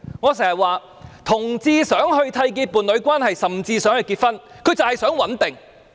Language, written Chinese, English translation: Cantonese, 我經常說，同志希望締結伴侶關係，甚至希望結婚的原因是他們想穩定。, The reason that homosexual people wish to enter into a union or even get married is that they want stability